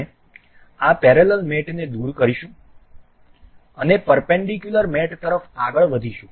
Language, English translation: Gujarati, We will remove this parallel mate and we will move on to perpendicular mate